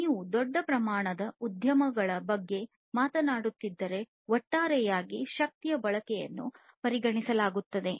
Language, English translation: Kannada, So, you know if you are talking about large scale enterprises there is a consideration of the energy; energy consumption as a whole